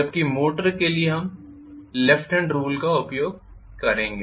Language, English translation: Hindi, Whereas for motor we will use left hand rule